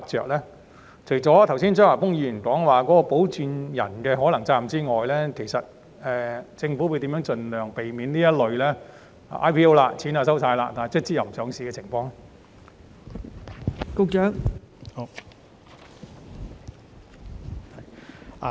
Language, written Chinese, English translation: Cantonese, 除了考慮剛才張華峰議員所述保薦人可能需要承擔的責任外，政府將如何避免這類已收取 IPO 認購款項但最終撤回上市的情況？, Apart from the potential responsibility of sponsors mentioned by Mr Christopher CHEUNG earlier will the Government also consider how to avoid the withdrawal of listing application after the receipt of IPO subscription money?